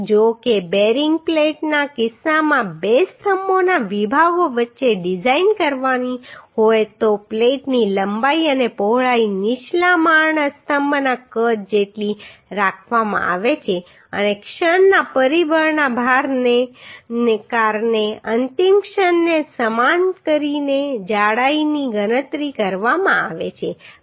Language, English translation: Gujarati, However in case of bearing plate is to be designed between two columns sections the length and width of the plate are kept equal to size of lower storey column and the thickness is computed by equating the ultimate moment due to the factor load of the moment factor load to the moment of resistance of plate section